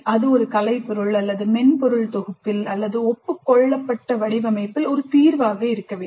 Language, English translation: Tamil, It must result in an artifact or in a software package or in a solution in agreed upon format